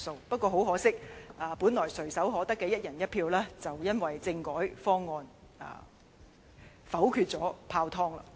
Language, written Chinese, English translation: Cantonese, 不過，很可惜，本來垂手可得的"一人一票"選舉，卻因政改方案被否決而泡湯。, Regrettably by voting down the constitutional reform proposal we gave up the one person one vote election which was once just a step away